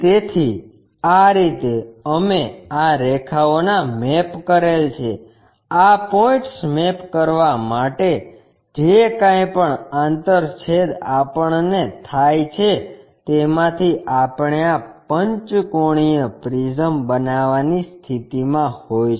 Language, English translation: Gujarati, So, in this way we map these lines, map these points whatever those intersection we are having from that we will be in a position to construct this pentagonal prism